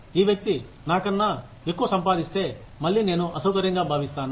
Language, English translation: Telugu, If this person earns more than me, then again, I will feel uncomfortable